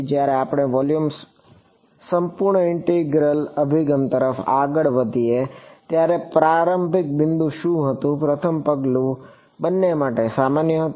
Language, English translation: Gujarati, When we move to the volume integral approach what was how what was the starting point, was the first step common to both